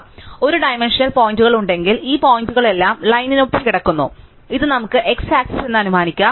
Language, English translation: Malayalam, If we have one dimensional points then all these points lie along the line, which we can assume this the x axis